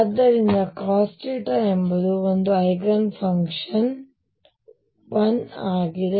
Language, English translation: Kannada, So, cosine theta is an Eigenfunction with l being 1